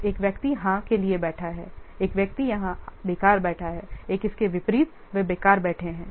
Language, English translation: Hindi, So one person is sitting for, yes, one person is sitting idle here one and like this, they are sitting idle